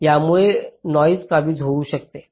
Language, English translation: Marathi, so noise might get captured